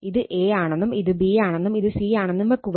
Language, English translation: Malayalam, So, this is your end, this is your A, suppose this is your B, this is your C